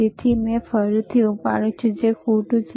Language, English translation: Gujarati, So, again I have lifted, which it is wrong,